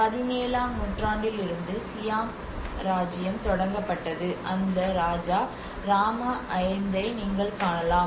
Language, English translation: Tamil, And that is where the Siam which is the Siam kingdom has been started from 17th century, and you can see that king Rama 5